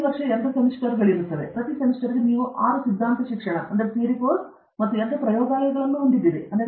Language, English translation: Kannada, Each year divided into 2 semesters; every semester you have 6 theory courses and 2 labs